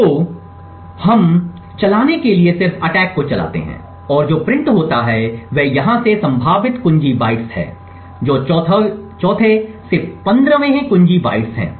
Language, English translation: Hindi, So, in order to run we just run the attack and what gets printed are the potential key bytes from here onwards that is 4th to the 15th key bytes